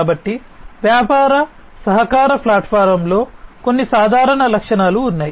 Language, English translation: Telugu, So, there are some common attributes in business collaboration platforms